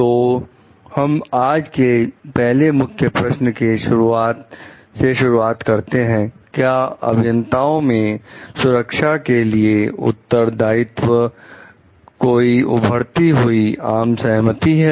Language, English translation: Hindi, So, we will start with the first key question for today is like is there an emerging consensus on the responsibility for safety among engineers